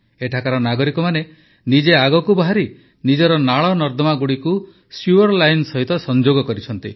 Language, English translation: Odia, The citizens here themselves have come forward and connected their drains with the sewer line